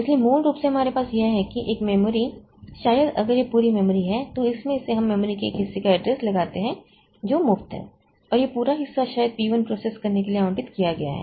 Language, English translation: Hindi, So, basically what we have is that a memory may be if this is the full memory, so out of that we find out a portion of memory which is free and this entire portion is maybe allocated to process P1